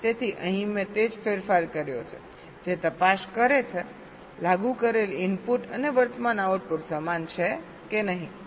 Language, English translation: Gujarati, so here i have made just that change which checks whether the applied input and the current output are same or not